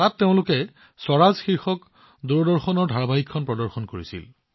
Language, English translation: Assamese, There, they had organised the screening of 'Swaraj', the Doordarshan serial